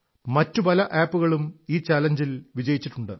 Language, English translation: Malayalam, Many more apps have also won this challenge